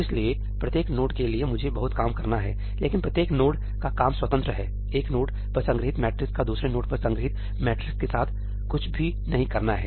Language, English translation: Hindi, So, for each node I have to do a lot of work, but that work of each node is independent, the matrix stored at one node does not have anything to do with the matrix stored at another node